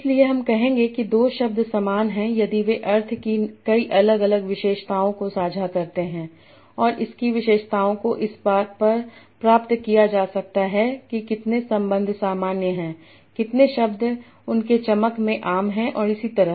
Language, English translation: Hindi, So I will say two words are similar if they share many different features of meanings and the features can be captured in terms of how many relations are common, how many words are common in the gloss and so on